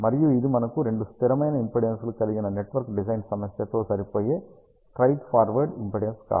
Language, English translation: Telugu, And it is not a straight forward impedance matching network design problem where we have two fixed impedances